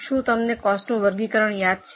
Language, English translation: Gujarati, Do you remember that cost classification